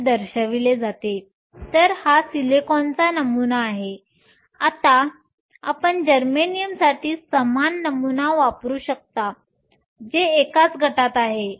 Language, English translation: Marathi, So, this is the model for silicon, you can use the same model for germanium which lies in the same group